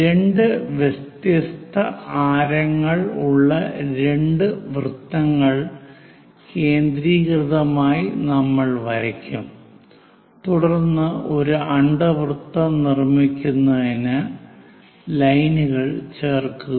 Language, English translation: Malayalam, We will draw two circles of two different radii concentrically, and then join the lines to construct this, an ellipse